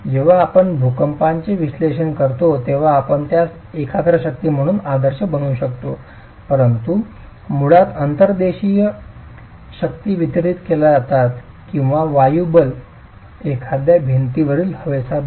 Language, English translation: Marathi, Of course we can idealize it as a concentrated force when we do seismic analysis but basically the inertial force is a distributed force or wind forces air pressure on a wall